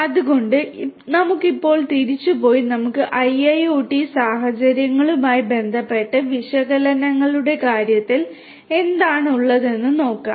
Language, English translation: Malayalam, So, let us now go back and have a look at what we have in terms of analytics with respect to IIoT scenarios